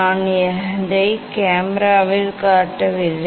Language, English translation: Tamil, I am not showing that one in the camera